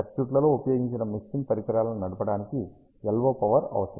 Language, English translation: Telugu, LO power is required to drive the mixing devices that have been used in the circuits